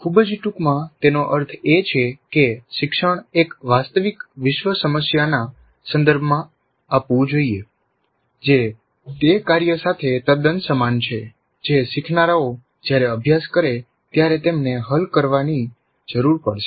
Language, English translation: Gujarati, Very briefly what it means is that the learning must occur in the context of an authentic real world problem that is quite similar to the task that the learners would be required to solve when they practice